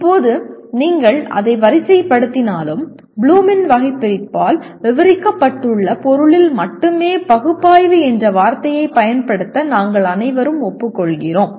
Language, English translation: Tamil, Now even if you sort that out let us say we all agree to use the word analyze only in the sense that is described by Bloom’s taxonomy